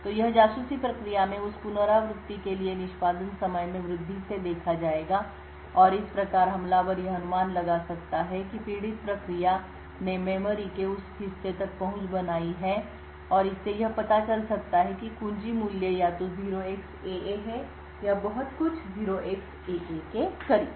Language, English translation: Hindi, So this would be observed by an increase in the execution time for that iteration in the spy process and thus the attacker can infer that the victim process has accessed that portion of memory and from that could infer that the key value is either 0xAA or something very close to 0xAA